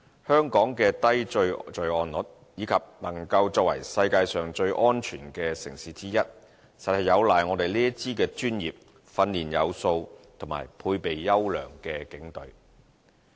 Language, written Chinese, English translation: Cantonese, 香港的低罪案率，以及能夠作為世界上最安全的城市之一，實有賴我們這支專業、訓練有素和配備優良的警隊。, Hong Kong has maintained a low crime rate and is one of the safest cities in the world because we have a professional well - trained and well - equipped Police Force